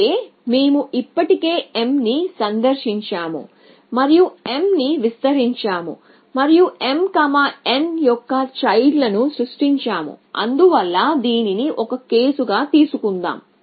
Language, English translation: Telugu, Which means we had already visited m and expanded m and generated children of m n, so on and so for, so let us take this as a case